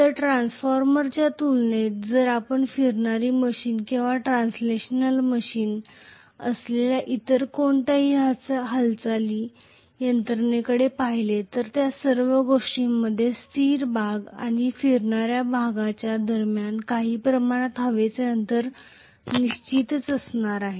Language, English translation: Marathi, So compared to a transformer if we look at any other moving mechanism which is a rotating machine or translational machine, all those things are going to definitely have some amount of air gap between the stationary part and the rotating part